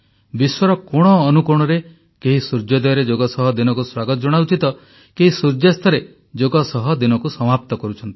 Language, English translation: Odia, In any corner of the world, yoga enthusiast welcomes the sun as soon it rises and then there is the complete journey ending with sunset